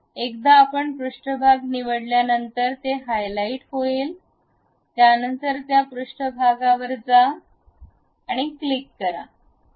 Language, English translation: Marathi, Once you select the surface it will be highlighted, then go to this surface, click